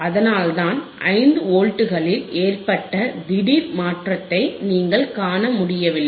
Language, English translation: Tamil, That is why you cannot see suddenly there is a change in 5 Volts